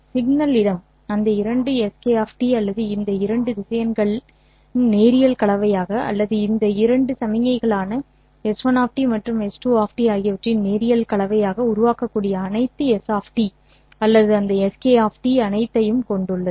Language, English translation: Tamil, Signal space consists of all those S of T's or all those S K of T's such that each SK of T can be built up as linear combination of these two vectors or these two signals S1 of T and S2 of T